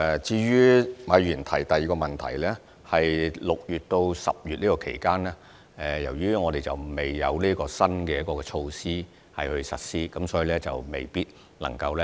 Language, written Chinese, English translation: Cantonese, 就馬議員的第二個問題，在6月至10月期間，由於新措施尚未實施，所以相關藝團未必能夠受惠。, In response to Mr MAs second question the arts groups affected from June to September are not eligible because the new measure was yet to be implemented during this period